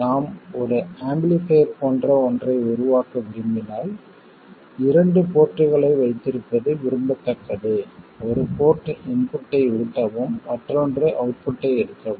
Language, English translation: Tamil, When we want to make something like an amplifier, it is preferable to have two ports, one port to feed the input and another one to take the output from